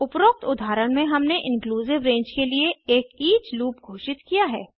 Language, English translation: Hindi, In the above example we declared an each loop for an inclusive range